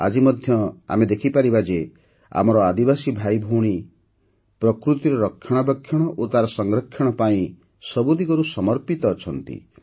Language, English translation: Odia, Even today we can say that our tribal brothers and sisters are dedicated in every way to the care and conservation of nature